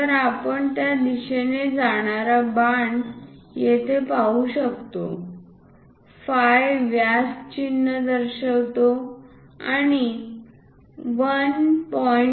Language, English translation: Marathi, So, we can see there is a arrow head going in that direction, phi represents diameter symbol and 1